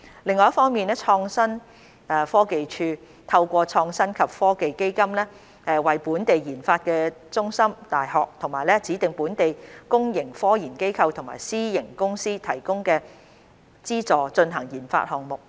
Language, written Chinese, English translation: Cantonese, 另一方面，創新科技署透過創新及科技基金為本地研發中心、大學、其他指定本地公營科研機構及私營公司提供資助進行研發項目。, On the other hand through the Innovation and Technology Fund ITF the Innovation and Technology Commission ITC has provided funding support for local Research and Development RD centres universities other designated local public research institutes and private companies to conduct RD projects